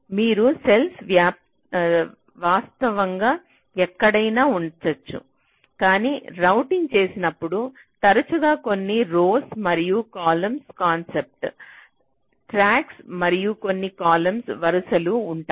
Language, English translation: Telugu, you can place a cell virtually anywhere, but when you do routing you often have some rows and column concept tracks and some columns